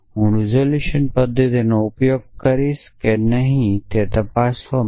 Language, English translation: Gujarati, I will use the resolution method to check whether that is the case